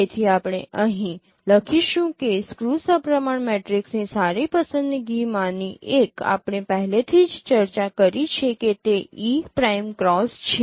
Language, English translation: Gujarati, So one of the good choice of a skew symmetric matrix we have already discussed that is E prime cross